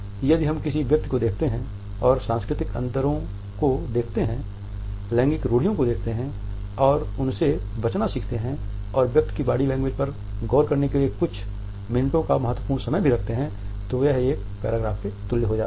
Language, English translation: Hindi, If we keep on looking at a person and look at the cultural differences, look at the gender stereotypes and learn to avoid them and also have a significant couple of minutes to watch the body language of a person it becomes an equivalent of paragraph